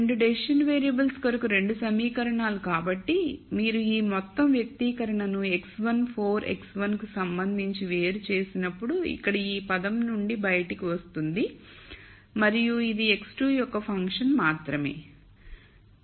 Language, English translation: Telugu, So, the 2 equations for the 2 decision variables so, when you differentiate this whole expression with respect to x 1 4 x 1 comes out of this term right here and this is only a function of x 2